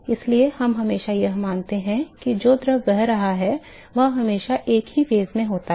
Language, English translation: Hindi, So, we always assume that the fluid which is flowing is always in a same phase